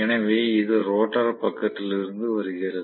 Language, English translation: Tamil, So this is from the rotor side